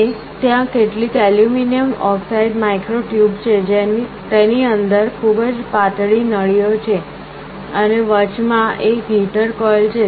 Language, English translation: Gujarati, And there are some aluminum oxide micro tubes, very thin tubes inside it, and there is a heater coil in the middle